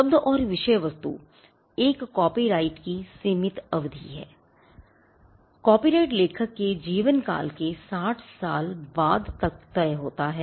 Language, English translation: Hindi, Term and subject matter: the term of a copyright is a limited term; the copyright extends to the life of the author plus 60 years